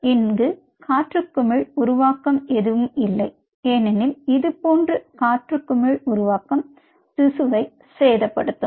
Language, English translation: Tamil, ok, there is no air bubble formation taking place here, because such air bubble formation damages the tissue